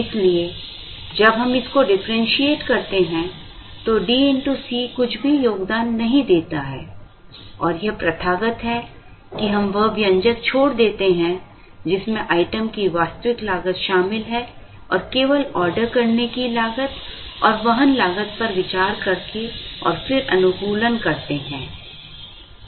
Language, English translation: Hindi, Therefore, when we differentiate this, the term D into C does not contribute anything and it is customary, therefore to leave out that term, the term that involves the actual cost of the item and consider only the ordering cost and carrying cost and then optimize it to get this